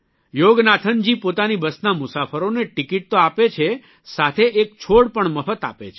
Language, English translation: Gujarati, Yoganathanjiwhile issuing tickets to the passengers of his busalso gives a sapling free of cost